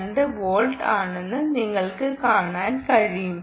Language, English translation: Malayalam, i put one volt here, you can see